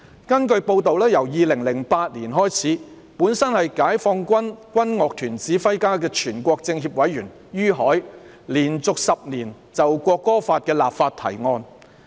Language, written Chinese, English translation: Cantonese, 根據報道，由2008年開始，本身是解放軍軍樂團指揮家的全國政協委員于海，連續10年就《國歌法》立法提案。, According to press reports since 2008 YU Hai a member of the National Committee of the Chinese Peoples Political Consultative Conference CPPCC and also a conductor of the military band of the Peoples Liberation Army had proposed to legislate for the National Anthem Law for 10 consecutive years